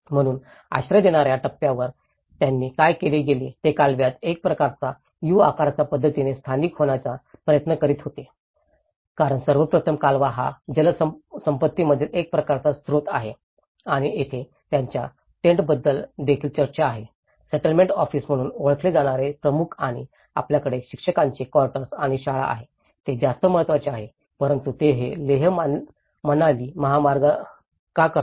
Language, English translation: Marathi, So, at an asylum seeker stage what they do was they try to settle down in a kind of U shaped pattern in the canal because first of all canal is one of the important water resource and here, they also have talk about the tent of the head which is also referred as the settlement office and you have the teachers quarters and the school which are more important but why do they make this is a Leh Manali Highway